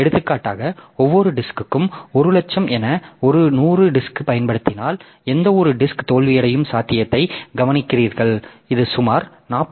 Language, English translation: Tamil, For example if I use say 100 disk with each disk having mean time to failure as 100,000 then if you look into the possibility of any any one disc failing so this is about 41